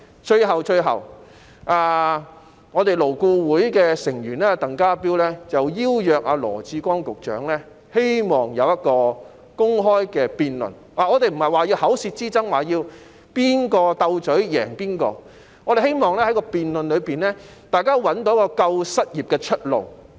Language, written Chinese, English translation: Cantonese, 最後，勞工顧問委員會的成員鄧家彪希望邀請羅致光局長進行公開辯論，我們不是要作口舌之爭，也不是要在"鬥嘴"中分勝負，而是希望在辯論中找到"救失業"的出路。, Lastly TANG Ka - piu member of the Labour Advisory Board would like to invite Secretary Dr LAW Chi - kwong to an open debate . Not that we want to engage in a war of words nor do we wish to find out who the winner or loser is in the quarrel but we hope to identify a way to help the unemployed in the debate